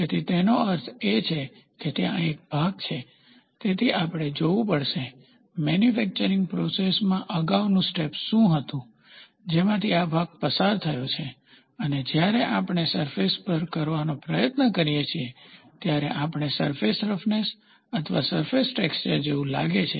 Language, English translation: Gujarati, So that means, to say there is a part, so we have to see, what was the previous step in the manufacturing process this part has undergone and that is what we try to look as a prime focus, when we try to do surface roughness or surface texturing